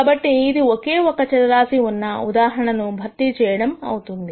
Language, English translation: Telugu, So, this replaces this in the single variable case